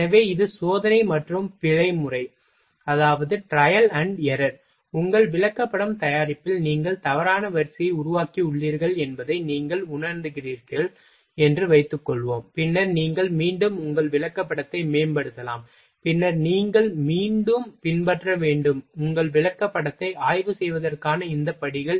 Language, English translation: Tamil, So, this is the trial and error method, suppose that you are you have made something you realise that you have made wrong sequence in your chart preparation, then you can again you will improve your chart, then you will have to again you will follow these steps to for examination of your chart